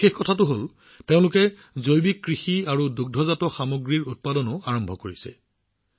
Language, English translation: Assamese, The special thing is that they have also started Organic Farming and Dairy